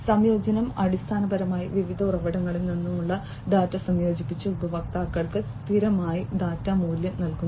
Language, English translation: Malayalam, Integration is basically combining the data from various sources and delivering the users a constant data value